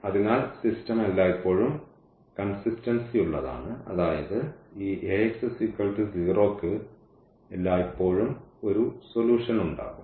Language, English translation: Malayalam, So, in that case the system is always consistent meaning this Ax is equal to 0 will have always a solution